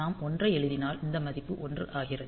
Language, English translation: Tamil, So, if we write a 1 then these value becomes 1